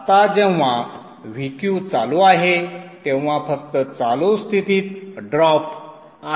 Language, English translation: Marathi, Now VQ when it on, it is just the on state drop